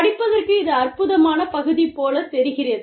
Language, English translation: Tamil, You know, it seems like, an amazing area to study